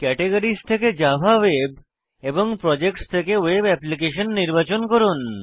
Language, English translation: Bengali, From the categories, choose Java Web and from the Projects choose Web Application